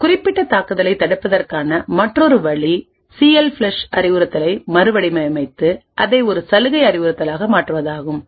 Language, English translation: Tamil, Another way of preventing this particular attack is to redesign the instruction CLFLUSH and make it a privilege instruction